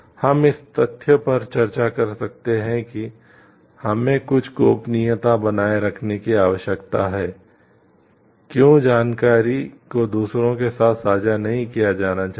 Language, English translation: Hindi, We may debate about the fact like why we what why we need to maintain some privacy, why the information should not be shared with others